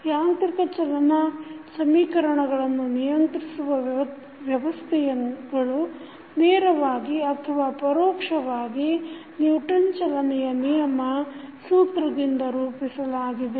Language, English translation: Kannada, The equations governing the motion of mechanical systems are directly or indirectly formulated from the Newton’s law of motion